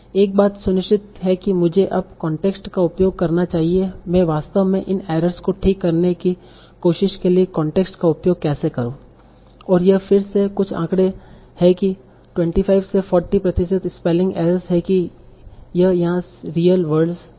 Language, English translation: Hindi, One thing is sure I should be using the context now how do I actually use the context for trying to correct these errors okay and this is again some statistics that 25 to 40 percent of the spelling errors that we see are real words